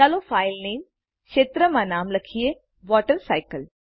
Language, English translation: Gujarati, Let us type the name WaterCycle in the field File Name